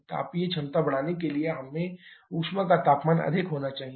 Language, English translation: Hindi, To increase the thermal efficiency, we need to have the temperature of heat addition to be higher